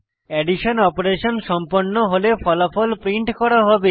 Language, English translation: Bengali, The addition operation will be performed and the result will be printed